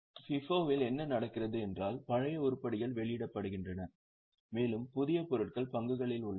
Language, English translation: Tamil, In FIFO what happens is the older items are issued out and the newer items remain in stocks